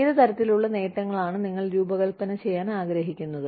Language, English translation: Malayalam, What kind of benefits, you want to design